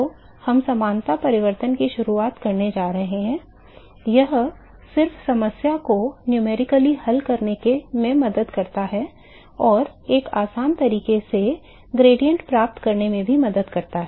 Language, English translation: Hindi, So, what we going to do is we are going to introduce similarity transformation it just helps in solving the problem numerically and also to get the gradients in an easy fashion